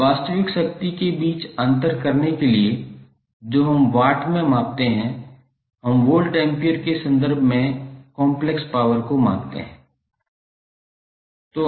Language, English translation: Hindi, Just to distinguish between real power that is what we measure in watts, we measure complex power in terms of volt ampere